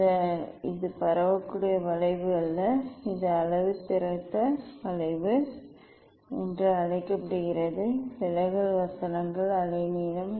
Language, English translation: Tamil, this is the; this is the dispersive not dispersive curve, this called the calibration curve, deviation verses wavelength